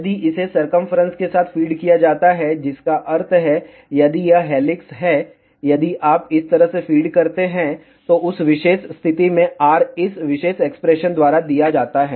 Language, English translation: Hindi, If it is fed along the periphery that means, if this is the helix, if you feed like this, in that particular case R is given by this particular expression